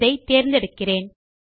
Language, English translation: Tamil, I will select this one